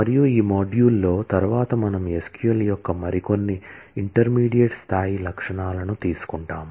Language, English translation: Telugu, in this module and the next we will take up some more intermediate level features of SQL